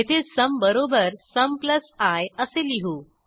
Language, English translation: Marathi, Now here, we calculate the sum as sum plus i